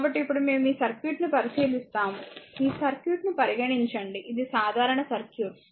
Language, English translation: Telugu, So now we consider this circuit, right you consider ah you consider this circuit, it is a simple circuit, right